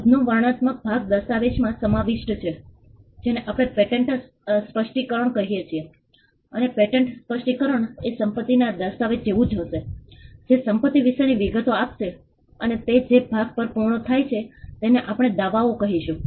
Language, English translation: Gujarati, The descriptive part of the invention is contained in a document what we call the patent specification and the patent specification much like the land deed would convey the details about the property and would end with something what we call the claims